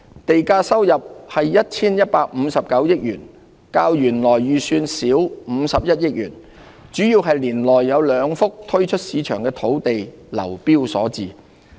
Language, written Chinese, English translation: Cantonese, 地價收入為 1,159 億元，較原來預算少51億元，主要是年內有兩幅推出市場的土地流標所致。, The revenue from land premium is 115.9 billion 5.1 billion less than the original estimate mainly due to the unsuccessful tendering of two sites in the year